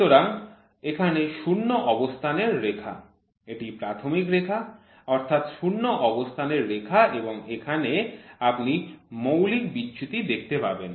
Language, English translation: Bengali, So, here is the zero line so it is basic line zero line and here you can see the fundamental deviations